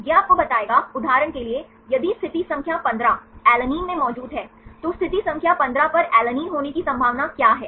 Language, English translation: Hindi, This will tell you, for example, if in position number 15 Ala is present, what is the probability of having Ala at position number 15